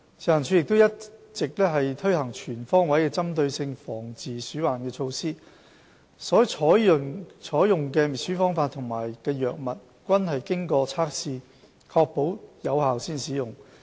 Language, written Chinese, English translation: Cantonese, 食環署一直推行全方位的針對性防治鼠患措施，所採用的滅鼠方法和藥物均經過測試以確保有效才使用。, FEHD has been implementing a series of comprehensive measures targeting at rodent control . All methods and rodenticides deployed are tested and confirmed to be effective